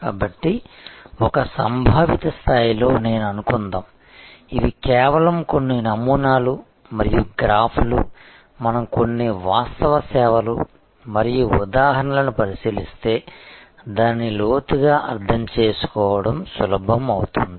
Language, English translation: Telugu, So, let us I think at a conceptual level, these are just some models and graphs, it will be easier for us to understand it in depth, if we look at some actual service and the examples